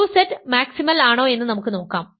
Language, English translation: Malayalam, So, let us see is 2Z maximal